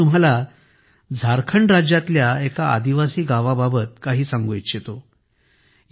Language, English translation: Marathi, I now want to tell you about a tribal village in Jharkhand